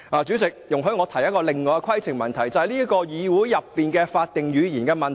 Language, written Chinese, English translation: Cantonese, 主席，容許我提出另一項規程問題，是關於這個議會的法定語言。, Chairman allow me to raise another point of order concerning the official language of this Council